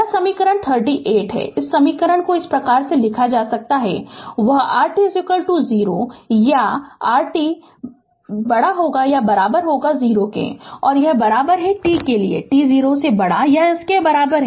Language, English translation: Hindi, This is equation 38, this equation can be written like this; that r t is equal to 0 or t less than equal to 0 and is equal to t for t greater than or equal to 0